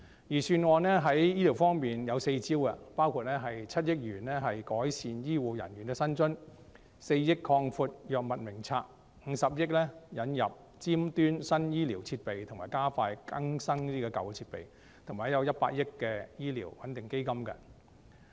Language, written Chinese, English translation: Cantonese, 預算案在醫療方面有四招，包括撥款7億元改善醫護人員的薪津、撥款4億元以擴闊藥物名冊、撥款50億元引入尖端新醫療設備及加快更新舊設備，以及撥款100億元作公營醫療撥款穩定基金。, The Budget has four gambits as far as health care funding is concerned namely 700 million to increase the rates of salary and allowance for health care workers 400 million to expand the scope of the Drug Formulary 5 billion to introduce advanced medical devices and expedite the upgrading of medical equipment and 10 billion to set up a public health care stabilization fund